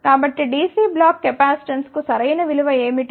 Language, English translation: Telugu, So, what is the right value for DC block capacitance